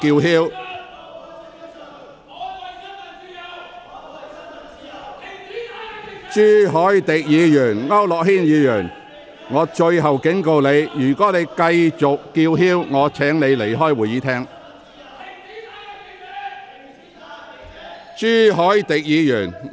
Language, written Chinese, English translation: Cantonese, 陳志全議員，我對你作出最後警告，如果你不坐下，我會命令你離開會議廳。, Mr CHAN Chi - chuen this is my last warning to you . If you do not sit down I will order you to leave the Chamber